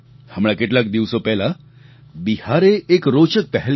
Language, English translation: Gujarati, Just a while ago, Bihar launched an interesting initiative